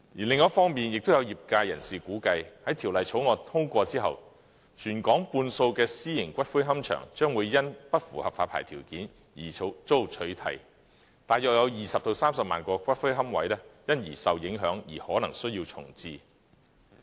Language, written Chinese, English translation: Cantonese, 另一方面，也有業界人士估計，在《條例草案》通過後，全港半數私營龕場將會因不符合發牌條件而遭取締，大約20萬至30萬個龕位因而受影響，而可能需要重置。, On the other hand some members of the sector estimate that following the passage of the Bill half of private columbaria in Hong Kong will be eradicated for failing to comply with the licensing conditions consequently 200 000 to 300 000 niches will be affected and probably need to be relocated